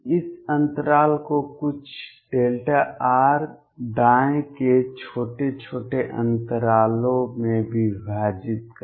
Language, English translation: Hindi, Divide this interval into small intervals of some delta r right